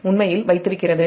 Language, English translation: Tamil, actually this holds